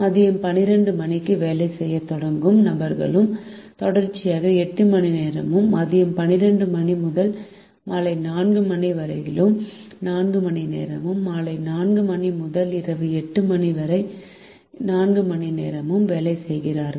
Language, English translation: Tamil, people who start working at twelve noon also work for eight consigative hours, therefore hours between twelve noon and four pm and another four hours between four pm and eight pm